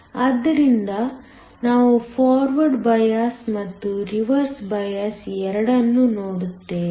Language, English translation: Kannada, So, we will look at both forward bias and a reverse bias